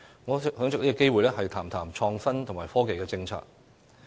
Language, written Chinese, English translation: Cantonese, 我想藉此機會談談有關創新及科技的政策。, I wish to take this opportunity to talk about the policy on innovation and technology